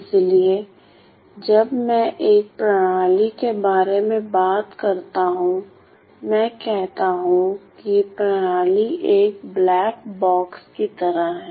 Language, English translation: Hindi, So, when I talk about a system, I say the system is like a black box